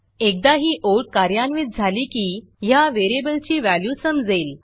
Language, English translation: Marathi, Once it executes the line well know what the variable contains